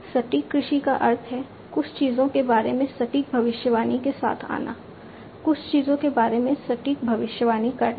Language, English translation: Hindi, Precision agriculture means like you know coming up with precise predictions about certain things, precise predictions about certain things